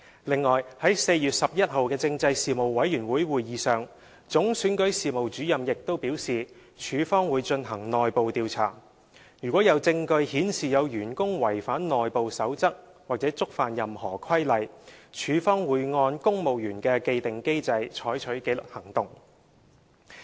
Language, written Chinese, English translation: Cantonese, 此外，在4月11日的事務委員會會議上，總選舉事務主任亦表示處方會進行內部調查，如有證據顯示有員工違反內部守則或觸犯任何規例，處方會按公務員的既定機制採取紀律行動。, Furthermore in the Panel meeting held on 11 April the Chief Electoral Officer indicated that REO would conduct an internal investigation . If any evidence is found showing that a staff member has violated the internal codes or any regulations REO will take disciplinary actions under the established mechanism in the civil service